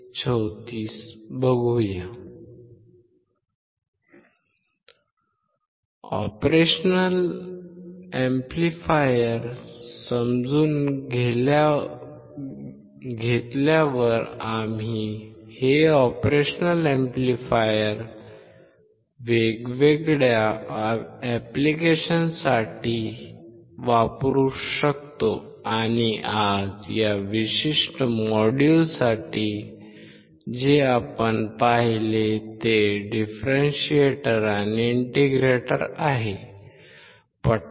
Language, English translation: Marathi, Once we understand operation amplifier, we can use this operation amplifier for different application and today for this particular module, what we have seen is a differentiator and an integrator